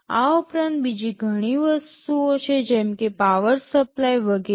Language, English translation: Gujarati, In addition there are so many other things like power supply, etc